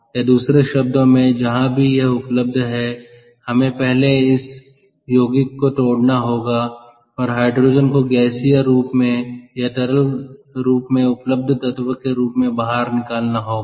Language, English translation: Hindi, or or in other, wherever it is available, ah, we have to first break up that compound and extract the hydrogen out as an element in the gaseous form or in the liquid form, which form is available